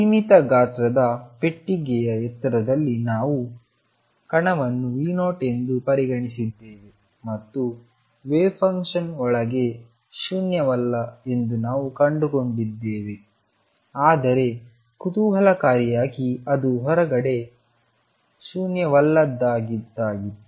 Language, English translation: Kannada, We had considered particle in a finite size box height being V 0 and what we found is that the wave function was non zero inside, but interestingly it also was non zero outside